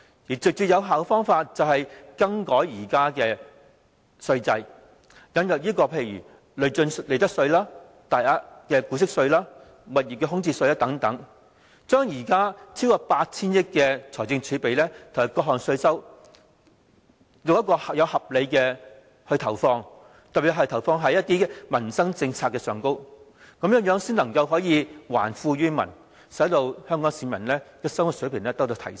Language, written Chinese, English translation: Cantonese, 最直接有效的做法就是，改革現在的稅制，例如引入累進利得稅、大額股息稅、物業空置稅等，將現在超過 8,000 億元的財政儲備和各項稅收，合理地投放，特別在於民生政策上，這樣才能夠還富於民，使香港市民的生活水平得到提升。, The most direct and effective approach is to reform the existing tax regime for instance introducing progressive profits tax tax on dividend income of significant amounts vacant property tax and so on . It should also allocate the 800 billion - plus fiscal reserves and various tax incomes appropriately with special emphasis on livelihood policies so as to return the wealth to the people and to raise their standard of living